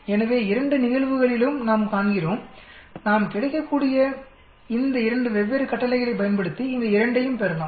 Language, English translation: Tamil, So we see in both the cases, we can get both these using these 2 different commands that is available